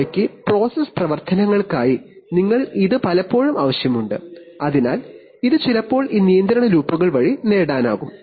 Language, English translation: Malayalam, And they of, for process operations you often need that, so this is sometimes achieved by these control loops